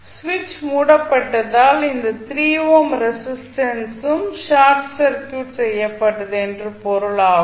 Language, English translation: Tamil, And since switch was closed this 3 ohm resistance is also short circuited